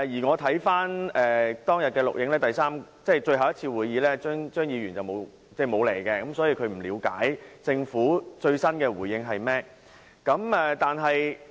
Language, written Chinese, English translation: Cantonese, 我曾翻看當天的錄影紀錄，確定張議員沒有出席，所以他不了解政府最新的回應是甚麼。, I did check the video recording of that day the day the last meeting was held and confirmed that Mr CHEUNG did not attend the meeting on that day . That is why he does not understand the latest response of the Government